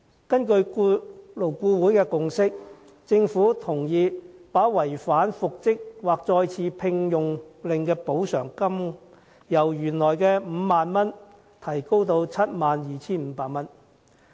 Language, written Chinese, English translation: Cantonese, 根據勞顧會的共識，政府同意把違反復職或再次聘用令須支付額外款項的上限，由原本 50,000 元提高至 72,500 元。, Based on the consensus of LAB the Government has agreed to raise the ceiling of the further sum payable by the employer for non - compliance with an order for reinstatementre - engagement from the originally proposed 50,000 to 72,500